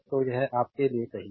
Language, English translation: Hindi, So, this is easy for you right